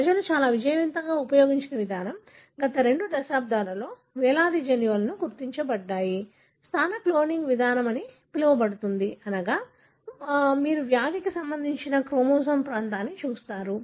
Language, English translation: Telugu, The approach that people used very successfully, thousands of genes have been identified in the last two decades is called as positional cloning approach, meaning you look at region of a chromosome that is associated with the disease